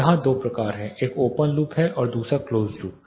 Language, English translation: Hindi, There are two types here one is open loop and other is a close loop